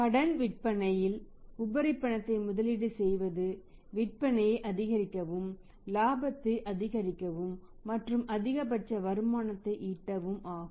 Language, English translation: Tamil, Invest the surplus cash in the credit sales and maximize the sales, maximize the profit and maximum the returns